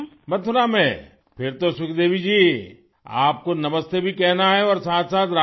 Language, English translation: Urdu, In Mathura, then Sukhdevi ji, one has to say Namaste and say RadheRadhe as well